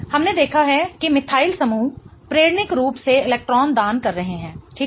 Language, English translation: Hindi, We have seen that methyl groups are inductively electron donating, right